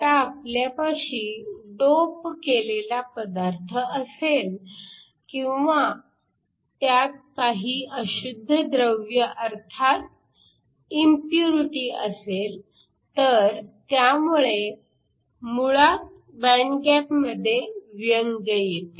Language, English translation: Marathi, Now, if you have a material that is doped or has some other impurities, these basically cause defects states in the band gap